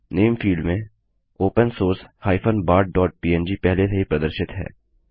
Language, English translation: Hindi, In the Name field, open source bart.png is already displayed